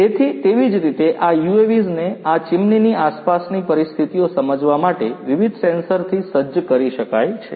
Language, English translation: Gujarati, So, likewise these UAVs could be fitted with different sensors to understand the ambient conditions around these chimneys